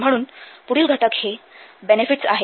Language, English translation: Marathi, So the next content must be benefits